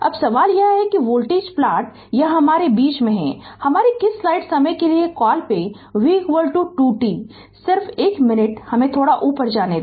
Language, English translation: Hindi, Now now question is that voltage plot this is my your in between your what you call ah v is equal to 2 t just just one minute let me move little bit up right